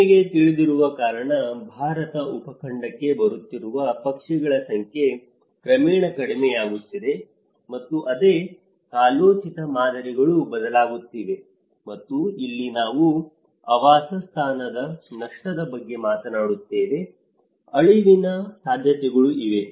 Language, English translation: Kannada, Because you know, the number of birds which are coming to Indian subcontinent that has gradually coming down and the same changing seasonal patterns and this is where we talk about the habitat loss, there might be chances of extinction as well